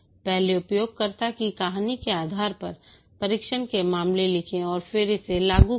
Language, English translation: Hindi, First write the test cases based on the user story and then implement it